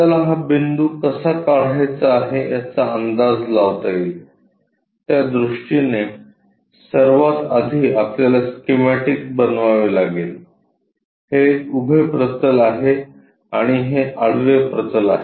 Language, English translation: Marathi, Can you guess how to draw this point, to visualize that first of all we have to construct a schematic like, this is the vertical plane and this is the horizontal plane